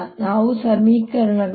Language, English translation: Kannada, now let us look at the equation